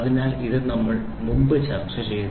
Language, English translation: Malayalam, So, this we discussed there